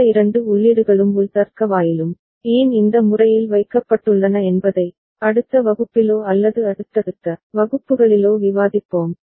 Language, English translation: Tamil, Again we shall discuss in next class or subsequent classes why these two inputs and an internal logic gate has been put in this manner